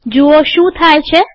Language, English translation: Gujarati, See what happens